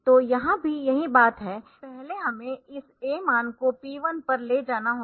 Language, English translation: Hindi, So, here also the same thing first we have to move this a value to p 1